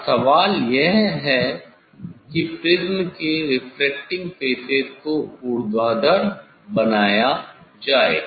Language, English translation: Hindi, Now, question is to make refracting faces of the prism vertical